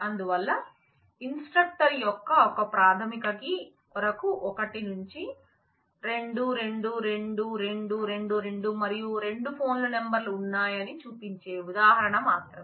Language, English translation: Telugu, So, this is just an example showing that for one primary key of an instructor 1 to 2 2 2 2 2 and there are two phone numbers